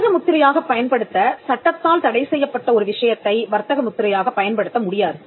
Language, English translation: Tamil, A matter prohibited by law to be used as trademark cannot be used as a trademark